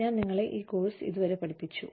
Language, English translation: Malayalam, I have been helping you, with the course, till now